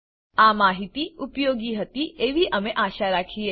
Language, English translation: Gujarati, We hope this information was helpful